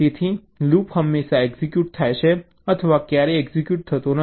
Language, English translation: Gujarati, so loop is either always executed or never executed